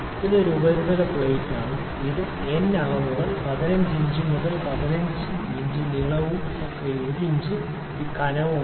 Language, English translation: Malayalam, So, this is one surface plate it is n dimensions 15 inches into 15 inches the length and width and the thickness is 1 inch